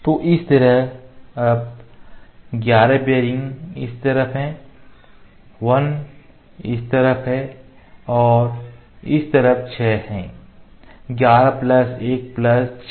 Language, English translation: Hindi, So, there 11 bearings on this side 1 on this side and 6 on this side; 11 plus 1 plus 6 is 18